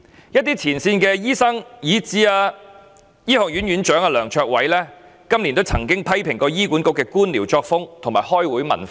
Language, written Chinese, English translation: Cantonese, 有前線醫生，以至香港大學李嘉誠醫學院院長梁卓偉教授今年亦曾批評醫管局的官僚作風及開會文化。, This year some front - line doctors and even Prof Gabriel LEUNG Dean of Li Ka Shing Faculty of Medicine in the University of Hong Kong HKU have invariably criticized HA for its bureaucracy and meeting culture